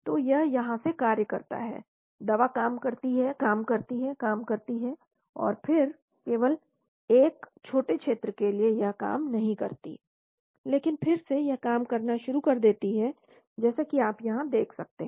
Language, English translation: Hindi, So it is act from here, the drug acts, acts, acts, and then only for a short region it does not act, but again it starts acting as you can see here